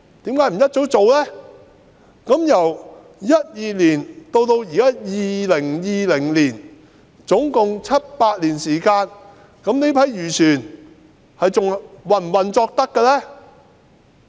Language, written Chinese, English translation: Cantonese, 由2012年至今2020年共有七八年時間，這些漁船仍可以運作嗎？, During those seven or eight years from 2012 to 2020 were these fishing vessels still in operation and could they carry on with their fishing operations?